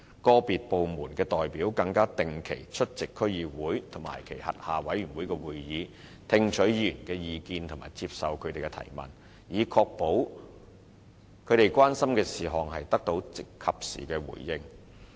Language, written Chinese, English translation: Cantonese, 個別部門的代表更會定期出席區議會及其轄下委員會的會議，聽取議員的意見和接受他們的提問，以確保他們關心的事項得到及時回應。, Representatives from individual departments will also attend the meetings of DCs and their committees on a regular basis to listen to members views and take questions from them so as to ensure timely responses to their concerns